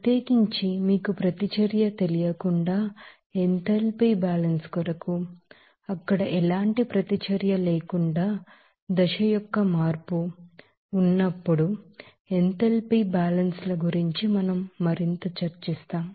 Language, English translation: Telugu, Especially for enthalpy balance without you know reaction also, we will discuss more about that the enthalpy balances when there will be a change of phase without any reaction there